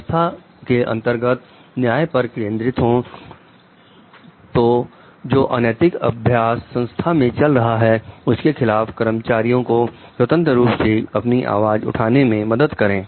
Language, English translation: Hindi, Focuses on justice in the organization; so helps employees to raise their voice freely against unethical practices in the organization